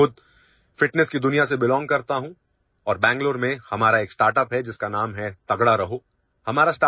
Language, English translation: Urdu, I myself belong to the world of fitness and we have a startup in Bengaluru named 'Tagda Raho'